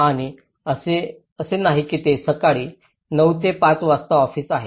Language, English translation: Marathi, And it is not like they are going morning 9:00 to 5:00 is an office